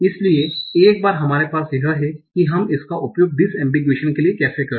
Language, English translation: Hindi, So once we have this, how we can use that for some disambiguation